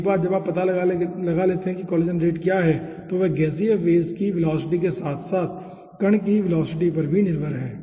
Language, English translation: Hindi, so once you find out what is collision rate, those are dependant on the velocity of the gaseous phase as well as the velocity of particle